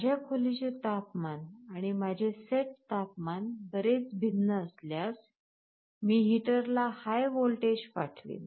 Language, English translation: Marathi, If I see my room temperature and my set temperature is quite different, I sent a high voltage to the heater